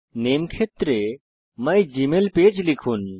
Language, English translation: Bengali, In the Name field, enter mygmailpage